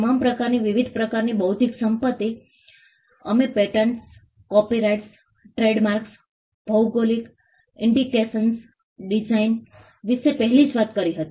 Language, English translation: Gujarati, All the different types of intellectual property we had already talked about patents, copyrights, trademarks, geographical indications, designs